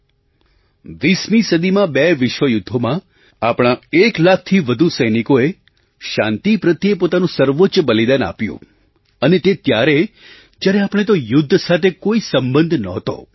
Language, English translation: Gujarati, In the two worldwars fought in the 20th century, over a lakh of our soldiers made the Supreme Sacrifice; that too in a war where we were not involved in any way